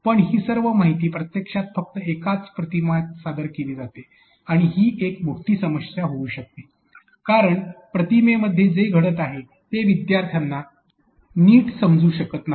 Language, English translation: Marathi, But all this information is actually presented in only one image as you can see and this becomes a big a problem because students cannot be able to understand all the concepts that are happening in this particular image that you can see